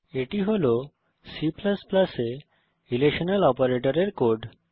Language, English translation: Bengali, Here is the code for relational operators in C++